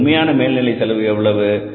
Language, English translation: Tamil, What is actual overhead cost here